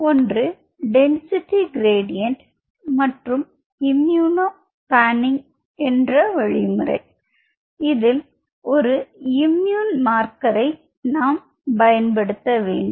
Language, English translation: Tamil, We have talked about density gradient and we have talked about immuno panning where you are using an immune marker